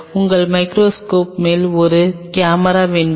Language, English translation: Tamil, Do you want a camera on top of your microscope